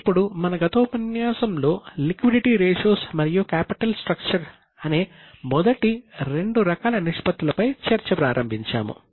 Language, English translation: Telugu, Now, in our last session, we had started discussion on first two types of ratios, that is liquidity and capital structure